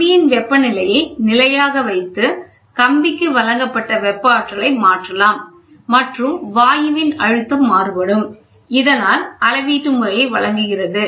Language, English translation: Tamil, The temperature of the wire can be altered by keeping the heating energy supplied to the wire constant, and varying the pressure of the gas; thus providing the method of pressure measurement